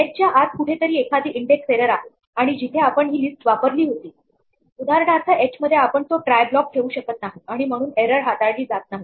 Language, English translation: Marathi, Somewhere inside h perhaps there is an index error and where we used this list for example, in h we did not put it on a try block and so, the error is not handled